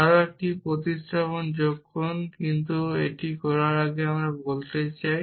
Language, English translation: Bengali, Add one more substitution, but before doing that I want to do